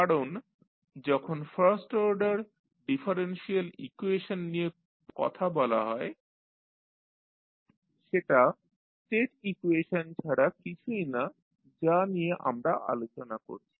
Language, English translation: Bengali, Because, when you talk about the first order differential equation that is nothing but the state equation we are talking about